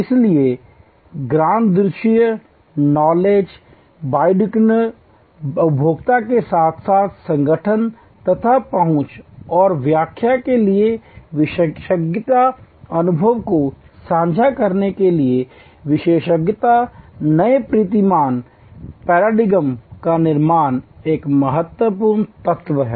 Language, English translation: Hindi, So, access to knowledge bidirectional, consumer as well as organization and expertise for interpretation, expertise for sharing experiences, construct new paradigm is an important element